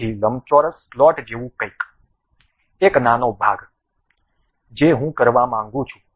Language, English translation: Gujarati, So, something like a rectangular slot, a small portion I would like to have